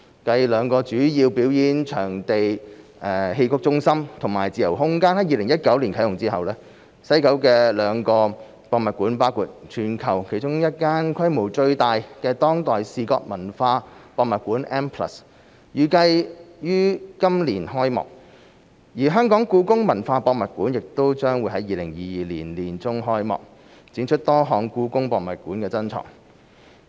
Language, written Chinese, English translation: Cantonese, 繼兩個主要表演藝術場地，即戲曲中心和自由空間在2019年啟用後，西九的兩個博物館，包括全球其中一間規模最大的當代視覺文化博物館 M+， 預計於今年開幕；而香港故宮文化博物館亦將於2022年年中開幕，展出多項故宮博物院珍藏。, Following the commissioning of two major performing arts venues namely the Xiqu Centre and Freespace in 2019 two museums in WKCD including M one of the largest museums of contemporary visual culture in the world are expected to open this year . The Hong Kong Palace Museum will open in mid - 2022 displaying part of the collection of the Palace Museum